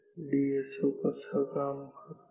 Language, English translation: Marathi, How does a DSO work